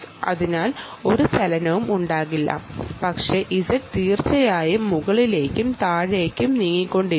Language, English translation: Malayalam, so y, there wont be much of a movement, but z, indeed, will keep moving up and down